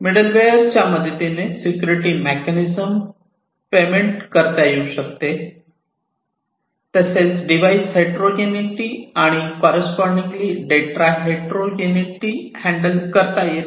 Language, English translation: Marathi, This middleware could also implement security mechanisms; it could also handle device heterogeneity and correspondingly data heterogeneity